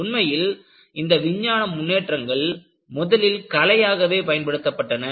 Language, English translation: Tamil, In fact, many of these scientific developments was originally practiced as Art